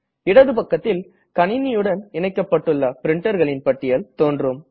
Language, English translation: Tamil, On the left hand side, a list of printer devices connected to the computer, is displayed